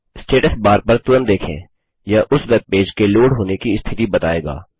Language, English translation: Hindi, It shows you the status of the loading of that webpage